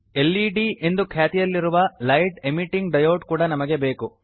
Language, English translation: Kannada, We also need a Light Emitting Diode, know as LED